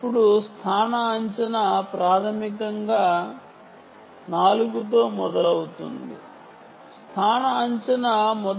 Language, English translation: Telugu, now the location estimation, ah, basically begins with four location estimation